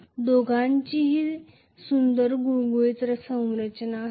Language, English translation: Marathi, Both will have a pretty smooth structure